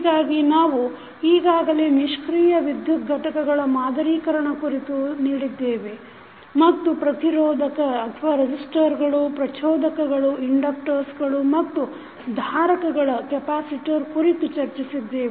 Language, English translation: Kannada, So, as we have already seen that modeling of passive electrical elements we have discussed resistors, inductors and capacitors